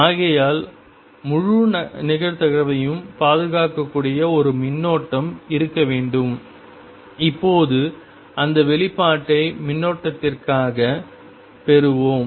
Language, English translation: Tamil, And therefore, there should be a current that makes the whole probability conserve, and let us now derive that expression for the current